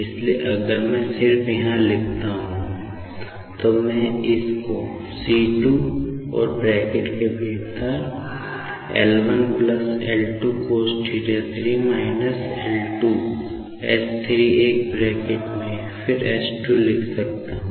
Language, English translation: Hindi, So, if I just write here, I can take this particular c 2 common and within bracket I can write down L 1 plus L 2 cos theta 3 minus L 2 s 3 within a bracket then s 2